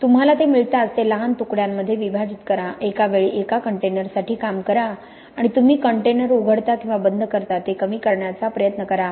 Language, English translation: Marathi, As soon as you get it, put, break it up into smaller batches, work for one container at a time and try to minimize the amount of times you are opening or closing the container